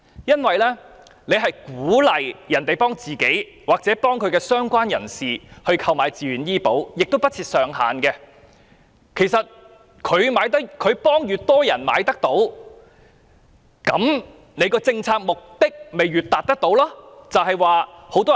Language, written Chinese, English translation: Cantonese, 政府鼓勵市民幫自己或相關人士投保，而且親屬數目不設上限，市民替越多受養人購買醫保，便越容易達到政府政策的目的。, The Government encourages people to insure themselves and their relatives and has not set any ceiling for the number of such relatives . The more the dependants are insured the easier it is for the Government to achieve its policy objectives